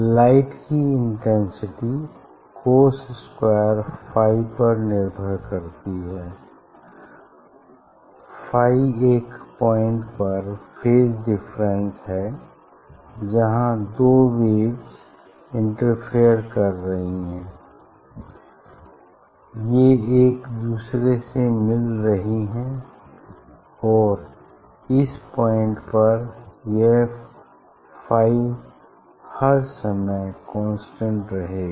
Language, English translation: Hindi, intensity of light depends on the cos square phi; phi is the phase difference between the two waves at the point where they are interfering; they are meeting with each other; and these phi has to be constant for all time it has to be constant for all time at that meeting point